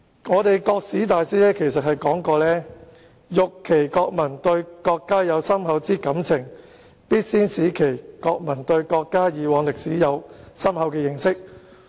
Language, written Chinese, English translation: Cantonese, 一位國史大師曾說："欲其國民對國家有深厚之愛情，必先使其國民對國家已往歷史有深厚的認識。, A great Chinese historian once said In order for the people of a country to have a profound love for the country a profound understanding of the history of the country must first be instilled in the people of the country